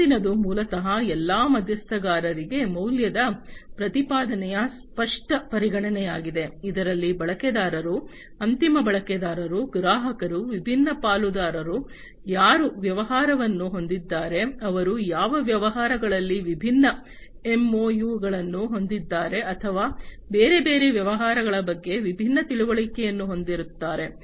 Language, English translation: Kannada, The next one is basically the explicit consideration of the value proposition for all the stakeholders, which includes the users, the end users, the customers, the different partners with which the business you know they have different , you know, MOUs or they have different understanding between the different other businesses